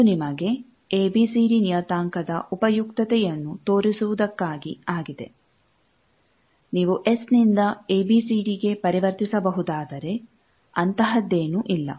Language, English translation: Kannada, This is to show you the usefulness of the ABCD parameter if you can convert from S to ABCD nothing like that